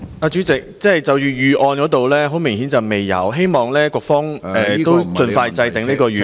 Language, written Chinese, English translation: Cantonese, 主席，很明顯，政府並未有預案，我希望局方盡快制訂預案。, President obviously the Government has not made any contingency plan . I hope the Bureau will draw up a contingency plan as soon as possible